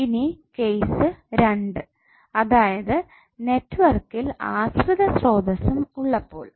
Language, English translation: Malayalam, Now in case 2 when the network has dependent sources also